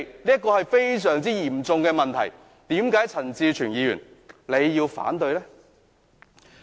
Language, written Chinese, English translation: Cantonese, 這是非常嚴重的問題，為何陳志全議員要反對呢？, This is a very serious matter why does Mr CHAN Chi - chuen oppose it?